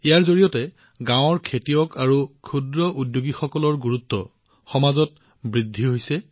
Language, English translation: Assamese, Through this, the importance of farmers who grow gram and small entrepreneurs making batashas has been established in the society